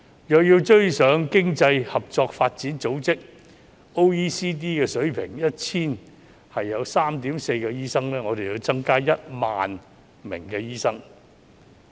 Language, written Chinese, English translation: Cantonese, 若有追上經濟合作與發展組織的水平，即每 1,000 人有 3.4 名醫生，我們便要增加 10,000 名醫生。, If we have to meet the standard set by the Organization for Economic Cooperation and Development OECD which is 3.4 doctors for every 1 000 people we will need 10 000 additional doctors